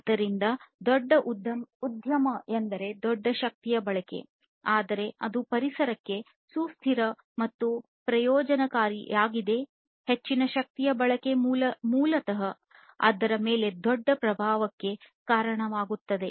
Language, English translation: Kannada, So, larger enterprise means larger energy consumption, but that is not something that is sustainable and that is not something that can that is beneficial for the environment more energy consumption basically leads to bigger impact on the environment and which is not very desirable